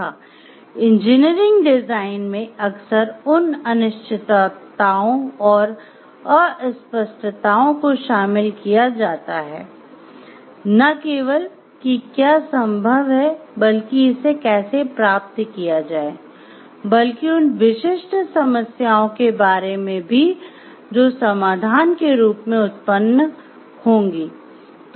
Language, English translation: Hindi, Fourth so in engineering design it often involves uncertainties and ambiguities, not only about what is possible, but how to do it how to achieve it; but also about the specific problems that will arise as solutions are developed